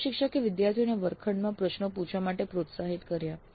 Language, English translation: Gujarati, The instructor encouraged the students to raise questions in the classroom